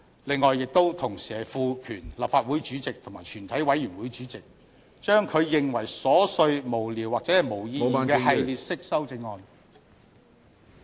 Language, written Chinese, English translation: Cantonese, 此外，同時賦權立法會主席及全體委員會主席將他認為瑣屑無聊或沒有意義的系列式修正案......, Moreover regarding frivolous or meaningless amendments that are in a series we propose that the President or the Chairman of the committee of the whole Council may